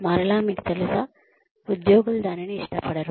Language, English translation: Telugu, And again, you know, the employees will not like that